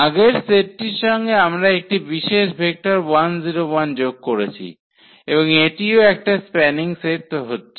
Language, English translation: Bengali, So, the existing set and we have added one more this vector 1 0 1 and this is also forming a spanning set